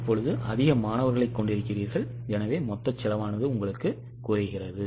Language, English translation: Tamil, Now you are having more students so total cost is going down